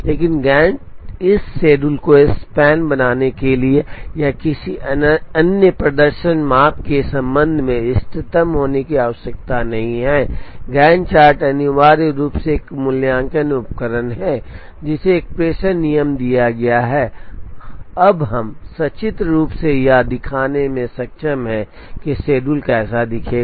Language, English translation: Hindi, But, the Gantt this schedule need not be optimum with respect to make span or with respect to any other performance measure, Gantt chart is essentially an evaluative tool given a dispatching rule, we are now able to show pictorially how the schedules will look like, with absolutely no guarantee for optimality